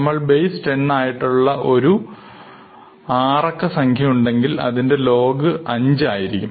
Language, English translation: Malayalam, If you have numbers written in base 10 then if we have a 6 digit number its log is going to be 5